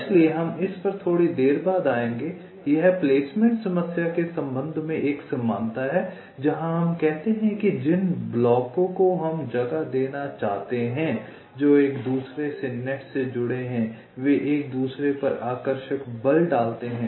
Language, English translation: Hindi, this is a analogy with respect to the placement problem, where we say that the blocks that we want to place, which are connected to each other by nets, they exert attractive forces on each other